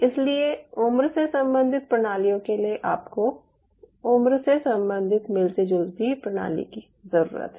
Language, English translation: Hindi, so for age related systems you needed something which is age related, matching systems